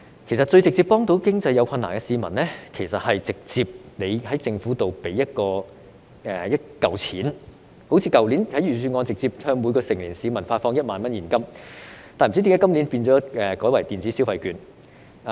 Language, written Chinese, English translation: Cantonese, 其實，最直接幫助經濟有困難的市民，是政府直接給予一筆錢，正如去年預算案直接向每名成年市民發放現金1萬元，不知為何今年改為派發電子消費券。, In fact the most direct way for the Government to help people in financial difficulties is to directly pay them a sum of money just like the proposal in the budget last year to give a direct cash handout of 10,000 to each adult resident . I do not know why electronic consumption vouchers will be issued this year instead